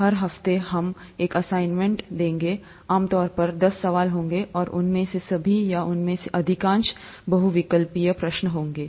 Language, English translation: Hindi, There will be an assignment every week, typically about ten questions, and all of them or most of them would be multiple choice questions